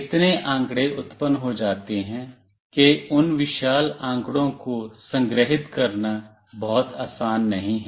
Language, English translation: Hindi, So much data gets generated, it is not very easy to store that huge amount of data